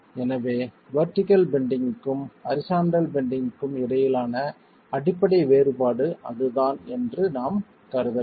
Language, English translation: Tamil, So that's the fundamental difference between the vertical bending and the horizontal bending that we will have to assume